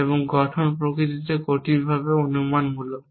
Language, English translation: Bengali, And structure is difficultly hypothetical in nature